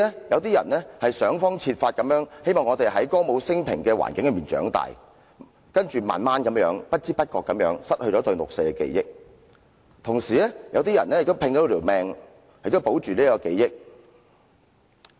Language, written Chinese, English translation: Cantonese, 有些人想方設法，希望在歌舞昇平的環境裏長大，之後慢慢地、不知不覺地失去了對六四事件的記憶；同時，有些人拼命要保存這種記憶。, Some have struggled to grow up in a prosperous and stable environment and they have gradually or unknowingly lost their memory of the 4 June incident subsequently . At the same time some are trying very hard to retain their memory of it